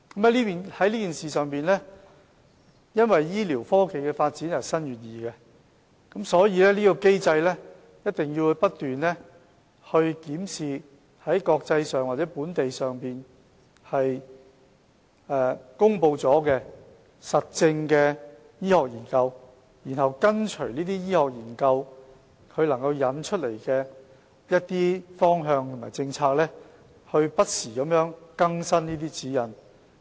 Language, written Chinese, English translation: Cantonese, 在這件事情上，因為醫療科技的發展日新月異，所以，在這機制下，我們一定要不斷檢視在國際或本地已公布的、經實證的醫學研究，繼而跟隨這些醫學研究所引出的方向和政策，不時更新指引。, As such with the advancement of medical technologies we have to constantly examine proven and published international or local medical research studies under such mechanism and then follow the direction and policies introduced by these medical research studies and update our guidelines from time to time